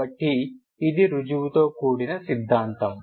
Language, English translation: Telugu, So this is a theorem with a proof